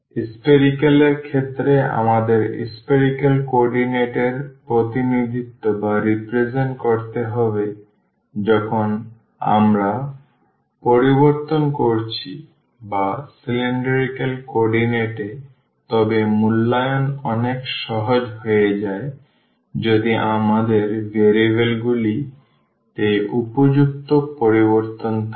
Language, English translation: Bengali, In spherical we have to represent the coordinates in spherical coordinate when we are changing or in cylindrical coordinates, but the evaluation become much easier if we have suitable change there in variables